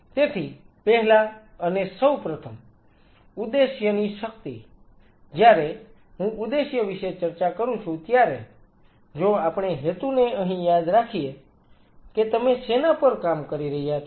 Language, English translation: Gujarati, So, first and foremost the power of the objective, when I talk about the purpose if we remember the purpose out here what are you working on